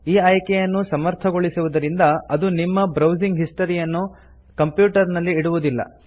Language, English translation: Kannada, Enabling this option means that the history of your browsing will be not be retained in your computer